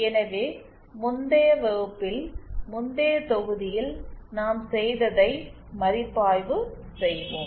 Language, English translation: Tamil, So let us review what we did in the previous class in the previous module